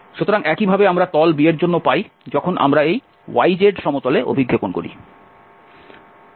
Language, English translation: Bengali, So, similarly we obtain for the side B when we project on this yz plane